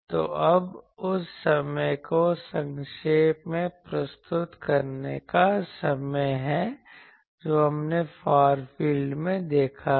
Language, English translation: Hindi, So, now, is the time for summarizing what we have seen in the far field